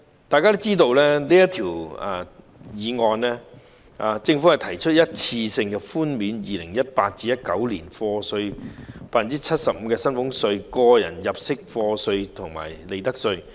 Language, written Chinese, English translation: Cantonese, 大家知道，這項《條例草案》是關於政府提出一次性寬免 2018-2019 課稅年度的 75% 薪俸稅、個人入息課稅及利得稅。, As we all know this Bill is about the one - off tax reduction of 75 % involving salaries tax tax under personal assessment and profits tax for the year of assessment 2018 - 2019 proposed by the Government